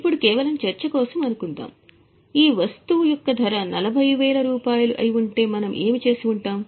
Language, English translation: Telugu, Now suppose just for discussion if the cost of this item would have been 40,000, what we would have done